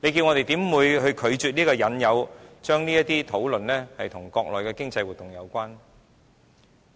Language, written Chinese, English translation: Cantonese, 我們怎可能拒絕這個引誘，不去將這些討論與國內經濟活動相提並論？, So is it not just natural that we connect this discussion with economic activities in the Mainland?